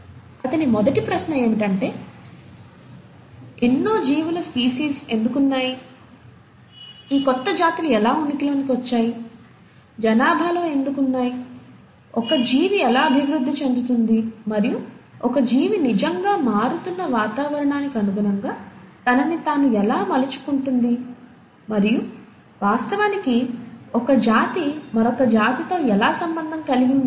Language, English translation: Telugu, His first question was why there are so many species of living things, how do these new species come into existence, within a population, how does an organism evolve, and how does an organism really adapt itself to the changing environment